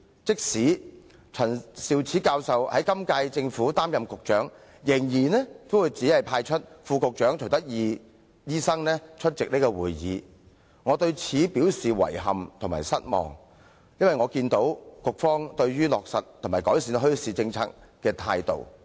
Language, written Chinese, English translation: Cantonese, 即使陳教授在今屆政府擔任局長，也仍然只是派出副局長徐德義醫生出席會議，我對此表示遺憾及失望，因為我看到局方對於落實及改善墟市政策的態度。, After Prof Sophia CHAN became the incumbent Secretary for Food and Health she still assigned Under Secretary for Food and Health Dr CHUI Tak - yi to attend the meetings . This arrangement has reflected the Bureaus attitude in implementing and improving the policy on bazaars . I find this regrettable and disappointing